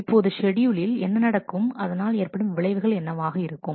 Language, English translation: Tamil, Now what happens in this schedule what will be the consequence